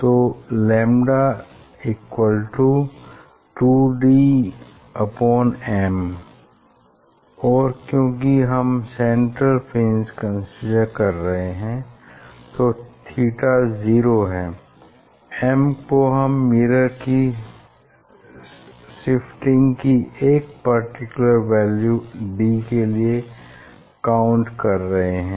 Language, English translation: Hindi, lambda equal to 2d by lambda 2d by m and because we are considering the central one, so theta is 0, this m we are counting for a particular d value, for shifting of mirror by d